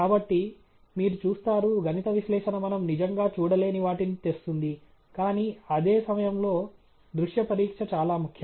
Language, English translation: Telugu, So, you see, mathematical analysis brings out what we cannot really visually see, but at the same time visual examination is very important